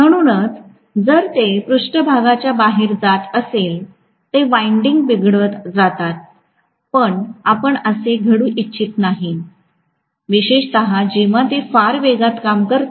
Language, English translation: Marathi, So if they are acting towards the protruding surfaces they can deform the winding, we do not want the deformation to happen, especially when they are working at very large speeds